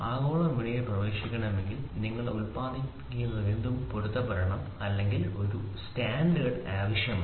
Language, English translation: Malayalam, So if has to be into the global market then whatever you produce should match or should need a standard